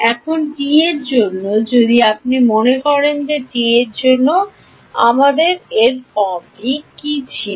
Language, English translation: Bengali, Now, T itself if you remember what was the form that we had for T